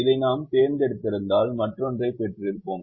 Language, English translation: Tamil, if we had chosen this or this, we would have got the other